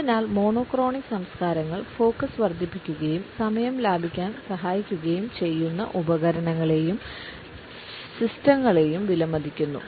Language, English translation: Malayalam, And therefore, monochronic cultures value those tools and systems which increase focus and help us in saving time